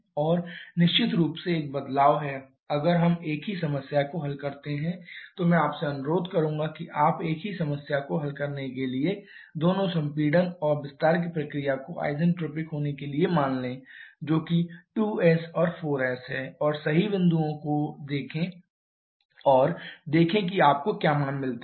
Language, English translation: Hindi, And definitely there is a change if we solve the same problem I would request you to solve the same problem by assuming both compression and expansion process to be isentropic that is there is 2s and 4s at the correct points and see what values you get